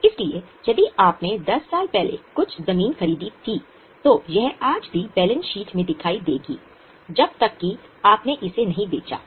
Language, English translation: Hindi, So, if you purchase some land 10 years before, it will continue to appear in balance sheet today unless you have sold it